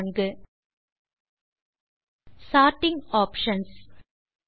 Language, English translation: Tamil, Now we are in Step 4 Sorting Options